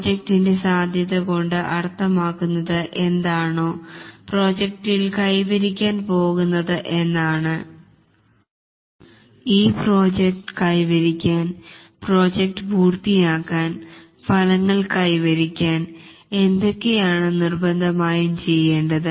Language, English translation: Malayalam, The project scope essentially means that what will be achieved in the project, what must be done to achieve the project, to complete the project and to deliver the results